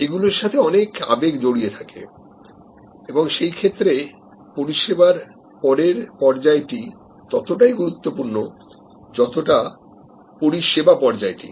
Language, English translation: Bengali, There are emotions involved and in such cases, actually the post encounter stage is as important as the service encounter stage